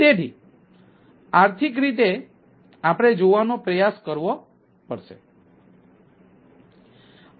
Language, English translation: Gujarati, so in economic point of view that will try to look at